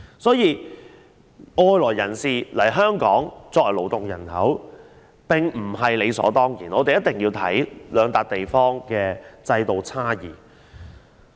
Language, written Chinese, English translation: Cantonese, 所以，外來人士來港作為勞動人口並非理所當然，一定要視乎兩地在制度上的差異而定。, Hence we should not take it for granted that new entrants can become the new blood for the working population in Hong Kong and consideration should still be given to the institutional differences between the two places